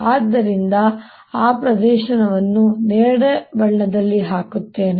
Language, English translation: Kannada, so i will just put that an area and purple